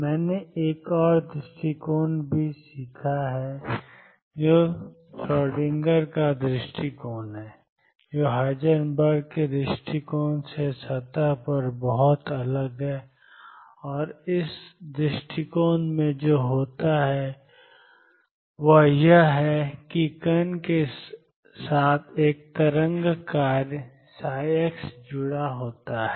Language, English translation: Hindi, I we have also learnt another approach which is Schrodinger’s approach which is very, very different on the surface from Heisenberg’s approach, and what happens in this approach is the particle has a wave function psi x associated with it